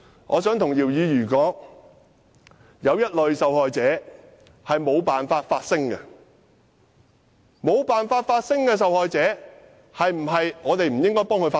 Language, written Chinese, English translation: Cantonese, 我想告訴姚議員，有一類受害者是無法發聲的，我們是否不應該替無法發聲的受害者發聲？, I would like to tell Mr YIU there is a kind of victim who cannot make their voices heard . Should we not speak up for such victims?